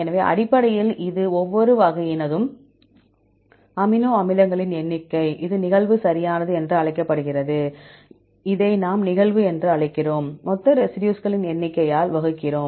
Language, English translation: Tamil, So, essentially this is the number of amino acids of each type, this is called occurrence right, this we call as occurrence, and divided by total number of residues N